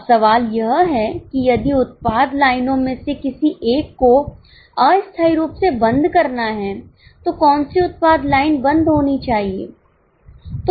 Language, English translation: Hindi, Now the question is if one of the product lines is to be closed temporarily, which product line should be closed